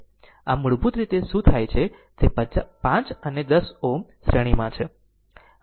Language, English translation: Gujarati, So, basically what happen this 5 and 10 ohm are in series